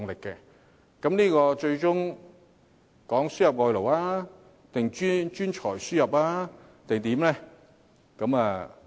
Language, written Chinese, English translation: Cantonese, 究竟它最終指的是輸入外勞、專才還是甚麼呢？, Does it ultimately mean the importation of foreign labour talent or what?